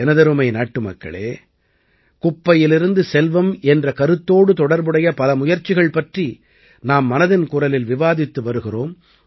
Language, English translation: Tamil, My dear countrymen, in 'Mann Ki Baat' we have been discussing the successful efforts related to 'waste to wealth'